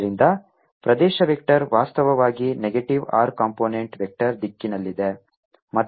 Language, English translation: Kannada, ok, and so therefore the area vector is actually in negative r unit vector direction